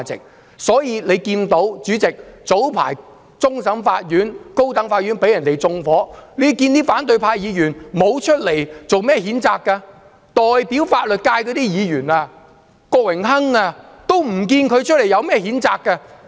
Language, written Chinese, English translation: Cantonese, 主席，所以大家看到，早前終審法院及高等法院被人縱火，反對派議員沒有作出譴責，代表法律界的郭榮鏗議員也沒有出來譴責。, President hence we can see when the Court of Final Appeal and the High Court were attacked by arson earlier the opposition Members did not condemn the act not even Mr Dennis KWOK who represents the legal sector